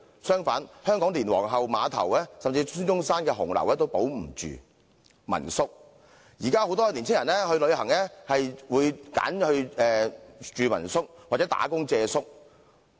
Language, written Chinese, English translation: Cantonese, 相反，香港連皇后碼頭，甚至紀念孫中山的紅樓也保不住。民宿方面，現時很多年輕人旅行時會選擇住民宿，或工作借宿。, On the contrary Hong Kong has failed to retain the Queens Pier and even the Red House commemorating SUN Yat - sen As regards homestay lodgings many young people nowadays choose homestay lodgings during their leisure travel or working holiday